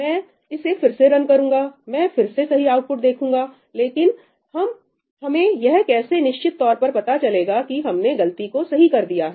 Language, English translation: Hindi, Yeah, I run it again, I again see the correct output, but how do we know for sure that we have fixed the bug